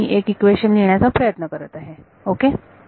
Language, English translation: Marathi, So, I am just trying to write down one equation ok